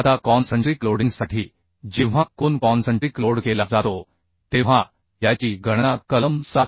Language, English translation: Marathi, 5 Now for concentric loading when the angle is concentric loaded this can be calculated through the clause 7